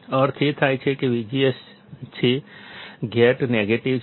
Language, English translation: Gujarati, That means; that V G S; , the gate is negative